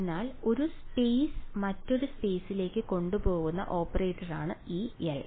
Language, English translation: Malayalam, So, L over here is the operator that takes one space to another space